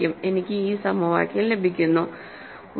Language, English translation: Malayalam, I get y this equation